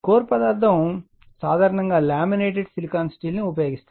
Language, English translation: Telugu, The core material used is usually your laminated silicon steel